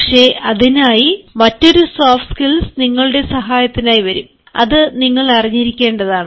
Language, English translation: Malayalam, but for that again, another soft skills will come to your help and that is to be awared